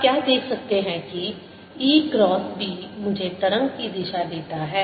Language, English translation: Hindi, what you can see is that e cross b gives me the direction of the wave